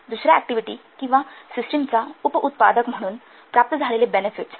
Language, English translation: Marathi, The benefits which are realized as a byproduct of another activity or system